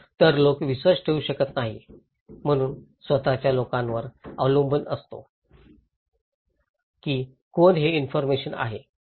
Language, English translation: Marathi, So, people cannot trust, so by own people trust depends on who are the, who is providing the information